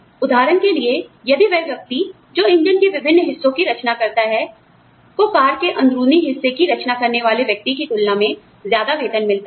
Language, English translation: Hindi, For example, if the person, who designs different parts of the engine, gets paid more, than the person, who designs the interiors of the car